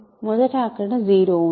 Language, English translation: Telugu, What is 0